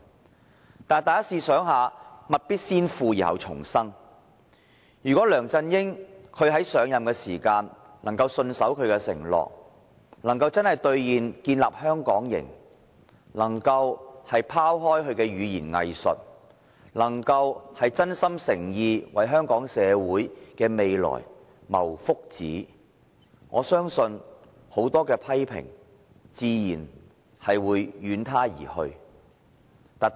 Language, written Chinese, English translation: Cantonese, 可是，大家試想一下，物必先腐而後蟲生，如果梁振英在上任時可以信守承諾，兌現建立"香港營"，拋開語言"偽術"，真心誠意為香港社會的未來謀福祉，我相信很多批評自會遠他而去。, Had LEUNG Chun - ying honoured his promise of building a Hong Kong camp when he assumed office had he given up his practice of equivocation and striven sincerely for the future well - being of Hong Kong society I trusted many of those criticisms would have gone . Come think about this